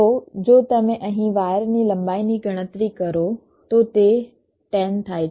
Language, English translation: Gujarati, so if you just calculate the wire length here, so it comes to ten